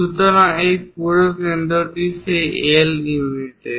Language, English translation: Bengali, So, this whole center is at that L units